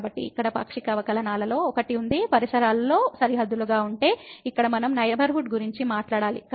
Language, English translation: Telugu, So, here if one of the partial derivatives exist and is bounded in the neighborhood; so, here we have to talk about the neighborhood